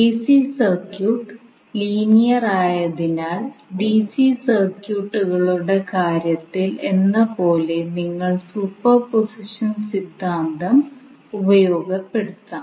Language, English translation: Malayalam, So, now as AC circuit is also linear you can utilize the superposition theorem in the same way as you did in case of DC circuits